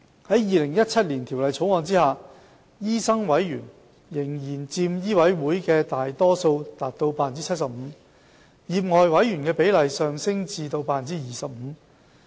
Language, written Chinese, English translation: Cantonese, 在《2017年條例草案》下，醫生委員仍然佔醫委會的大多數，達 75%； 業外委員的比例上升至 25%。, Under the 2017 Bill doctor members will still constitute the majority at 75 % in MCHK while the proportion of lay members will be increased to 25 % . Elected doctors will account for half of the membership of MCHK